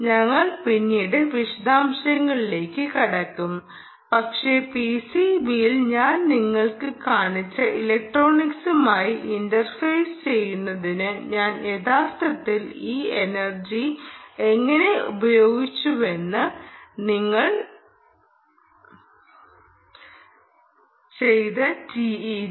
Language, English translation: Malayalam, we will get into the detail later, but you may want to actually ah, ah, understand, ah, how did i actually, ah, you know, use this energy for, ah, for interfacing with the electronics that i showed you on the p c, b here